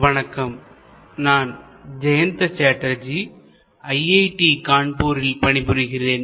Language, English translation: Tamil, Hello, this is Jayanta Chatterjee from IIT, Kanpur